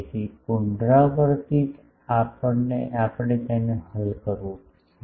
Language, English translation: Gujarati, So, iteratively we will have to solve it